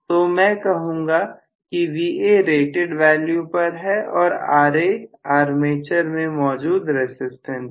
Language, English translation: Hindi, So I would say Va is at its rated value and Ra is inherent armature resistance